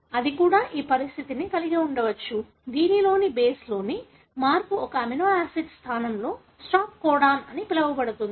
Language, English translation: Telugu, But, it could also have situation, wherein a change in the base would introduce what is called as stop codon in place of an amino acid